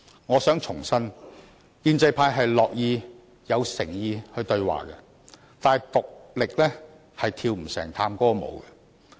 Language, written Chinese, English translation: Cantonese, 我想重申，建制派很樂意，亦很有誠意對話，但一人是跳不成探戈舞的。, I wish to reiterate that the pro - establishment camp was very willing to enter into dialogue in all sincerity but it takes two to tango